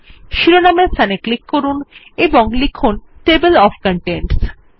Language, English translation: Bengali, Click on the title and type Table of Contents